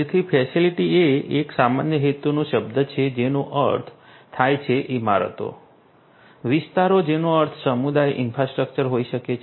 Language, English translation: Gujarati, So, in you know facility is a general purpose term which means buildings, precincts which could mean community infrastructure